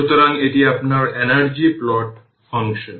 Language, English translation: Bengali, So, this is your energy plot function plot